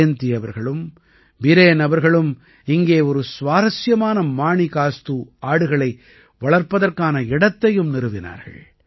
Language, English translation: Tamil, Jayanti ji and Biren ji have also opened an interesting Manikastu Goat Bank here